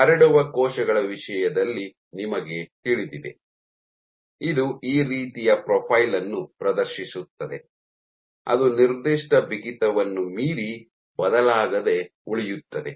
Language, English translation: Kannada, So, you know in terms of spreading cells will exhibit this kind of a profile that beyond a certain stiffness spreading will remain unchanged